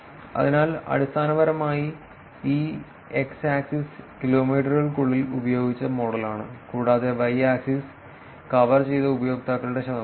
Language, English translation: Malayalam, So, essentially this is x axis is the model that was used within the kilometers and y axis is the percentage of users that were covered